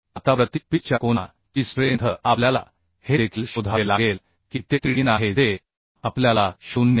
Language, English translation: Marathi, 6 Now strength of angle for pitch we have to also find out that is Tdn that is we know 0